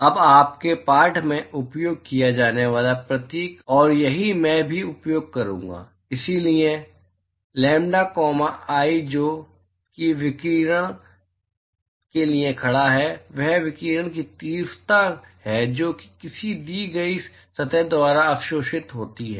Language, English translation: Hindi, Now, the symbol that is used in your text, and this is what I also will use is, so lambda comma i, that stands for irradiation, that is intensity of radiation that is absorbed by a given surface